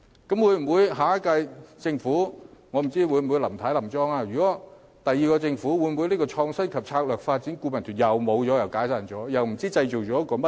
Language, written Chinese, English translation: Cantonese, 到了下屆政府，我不知道林太會否連任，但如果是新的政府上場，這個創新及策略發展顧問團便要解散，然後不知道又會成立些甚麼。, I do not know whether Mrs LAM will get re - elected for the next term but if there comes a new Government the Council of Advisers on Innovation and Strategic Development will again be dissolved and I do not know what its successor will be